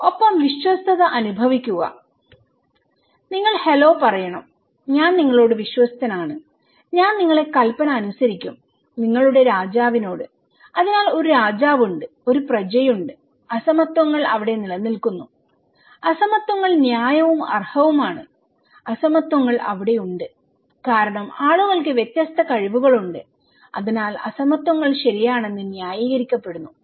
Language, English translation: Malayalam, And feel loyalty, you have to say hello, I am loyal to you, I will follow your order okay, to your king; so there is a king, there is a subject and inequalities are prevailing there so, inequalities are fair and deserve, inequalities are there because people have different capacities, so that is why inequalities are justified okay